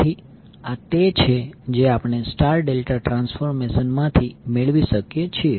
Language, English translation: Gujarati, So this is what we can get from the star delta transformation